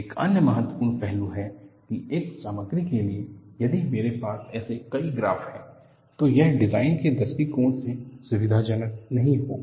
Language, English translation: Hindi, Another important aspect is, for one material, if I have number of such graphs, it would not be convenient from a design point of view